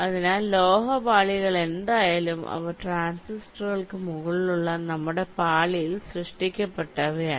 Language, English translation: Malayalam, so the metal layers are anyway, means, ah, they are created on our layer which is above the transistors